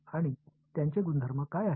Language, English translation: Marathi, And what are their properties